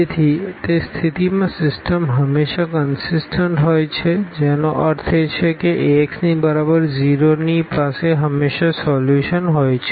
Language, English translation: Gujarati, So, in that case the system is always consistent meaning this Ax is equal to 0 will have always a solution